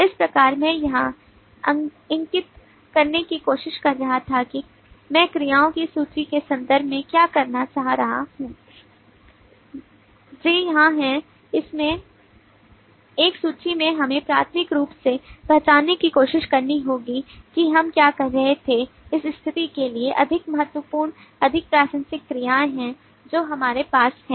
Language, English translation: Hindi, so that is what i was trying to point out here that is what i was trying to point out in terms of the list of verbs that we have here so from this list we will need to try to primarily identify in a manner that we were doing as to what are the more important, more relevant verbs for the situation that we have